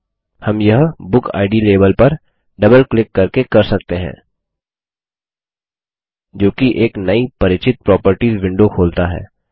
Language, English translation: Hindi, We can do this, by double clicking on BookId label, which opens up the now familiar Properties window